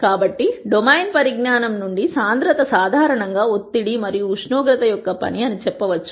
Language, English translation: Telugu, So, from domain knowledge it might be possible to say that density is in general a function of pressure and temperature